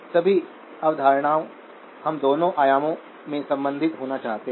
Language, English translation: Hindi, All of the concepts, we would like to be able to relate in both the dimensions